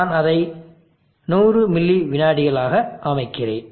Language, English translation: Tamil, I am setting it at 100 milliseconds